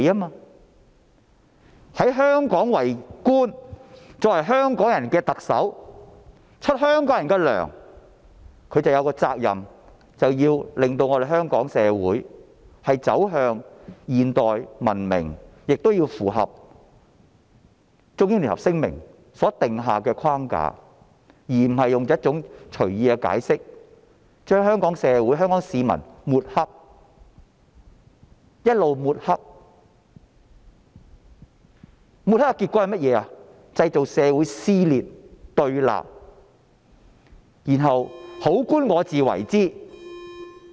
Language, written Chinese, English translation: Cantonese, 她在香港為官，作為香港人的特首，由香港人向她發薪，她便有責任令香港社會走向現代和文明，並須符合《中英聯合聲明》所訂下的框架，而不是隨意解釋，將香港社會和香港市民抹黑，結果製造社會撕裂和對立，然後好官我自為之。, As a Hong Kong official the Chief Executive of Hong Kong people and gets paid by Hong Kong people she should be responsible for leading Hong Kong into a modern and civilized society in conformity with the framework stipulated in the Sino - British Joint Declaration . She should not make any casual remarks to smear the society and people of Hong Kong which will result in social rift and confrontation . However she really thinks herself as a good official